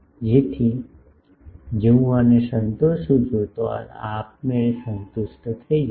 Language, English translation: Gujarati, So, if I satisfy these this gets automatically satisfied ok